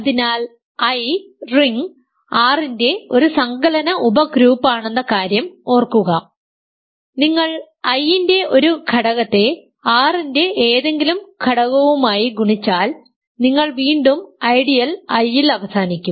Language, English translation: Malayalam, So, remember that I is an additive subgroup of the ring R with the property that if you multiply an element of I with any element of the ring R, you will end again in the ideal I